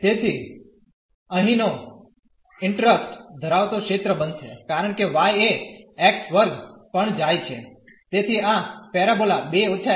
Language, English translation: Gujarati, So, the region here of the interest is going to be because y goes from x square; so, this parabola 2 to minus x